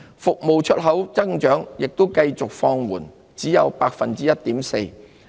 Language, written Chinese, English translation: Cantonese, 服務出口增長也繼續放緩，只有 1.4%。, Growth in exports of services at just 1.4 % also continued to decelerate